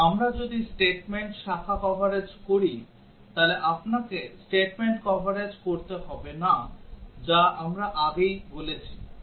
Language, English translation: Bengali, But, if we do statement, branch coverage, you do not have to do statement coverage that we already have said